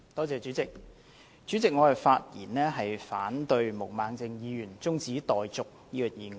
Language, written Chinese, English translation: Cantonese, 主席，我發言反對毛孟靜議員提出中止待續的議案。, President I rise to speak against the adjournment motion moved by Ms Claudia MO